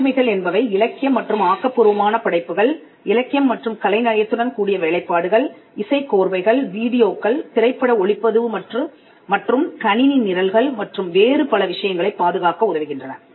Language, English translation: Tamil, Copyrights: copyrights are used to protect literary and creative works, literary artistic works soundtracks videos cinematography computer programs and a whole lot of things